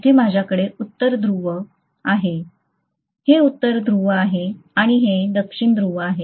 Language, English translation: Marathi, So I am going to have North pole here, this is North pole and this is going to be South pole, right